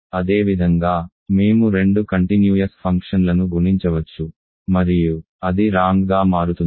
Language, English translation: Telugu, Similarly, we can multiply two continuous functions and it turns out to be a ring